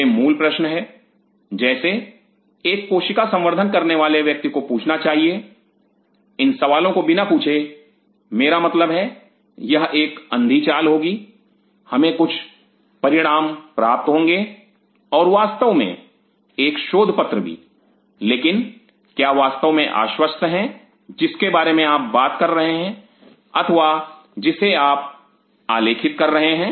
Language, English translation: Hindi, These are the basic questions as a cell culturist one has to ask without asking these questions I mean it will be a blind walk in we will get some results and you will of course, in a paper also, but are you sure what you are talking, or what you are documenting